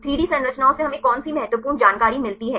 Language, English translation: Hindi, What is the important information we get from the 3D structures